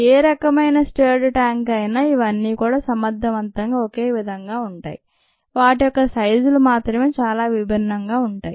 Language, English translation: Telugu, so, stirred tank, all these are effectively the same, except their sizes are so different